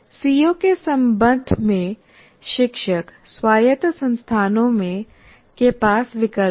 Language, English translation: Hindi, So the choice that is there with the teacher in autonomous institutions with regard to COs